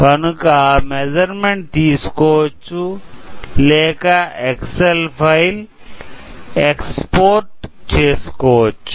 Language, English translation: Telugu, So, that we can take the measurement over or also we can export this file to excel